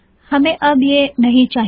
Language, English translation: Hindi, We no longer need this